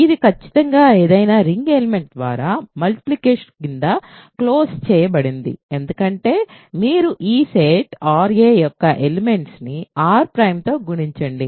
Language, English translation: Telugu, It is certainly closed under multiplication by any ring element because you take an element of this set ra multiply by r prime